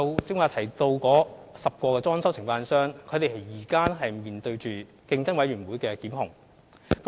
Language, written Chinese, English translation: Cantonese, 剛才提到的10間裝修承辦商現正面對競委會的檢控。, The aforementioned 10 DCs are facing prosecution initiated by CC